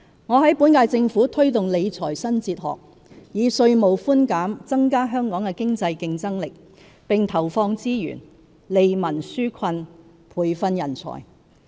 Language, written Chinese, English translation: Cantonese, 我在本屆政府推動理財新哲學，以稅務寬減增加香港的經濟競爭力，並投放資源，利民紓困，培訓人才。, I introduced a new fiscal philosophy in the current - term Government to provide tax concessions to enhance the economic competitiveness of Hong Kong and allocate resources to alleviate peoples burdens and nurture talent